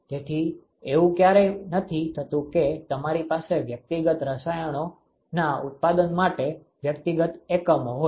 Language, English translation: Gujarati, So, it is never the case that you have individual units for manufacturing individual chemicals